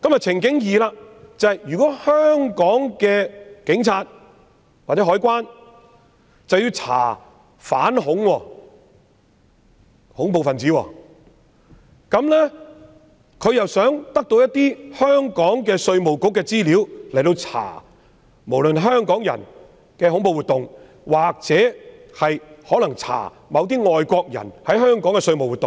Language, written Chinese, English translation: Cantonese, 情景二是，如果香港的警察或海關想調查恐怖分子，便須向香港稅務局索取資料，以調查任何人在香港的恐怖活動或外國人在香港的稅務活動。, The second scenario is that if the Police or the Customs and Excise Department CED of Hong Kong want to conduct an investigation of terrorists they may need to obtain information from IRD to investigate a persons terrorist activity or a foreigners tax activities in Hong Kong